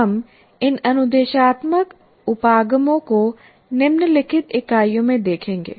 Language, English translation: Hindi, We will be looking at these instructional approaches in the following weeks